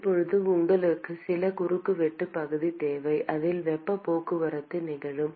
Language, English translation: Tamil, Now you need some cross sectional area at which the heat transport is going to occur